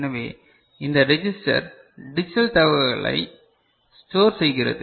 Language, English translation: Tamil, So, this register stores the digital information right